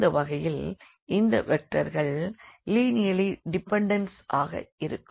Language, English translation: Tamil, So, here we have seen that these vectors are linearly independent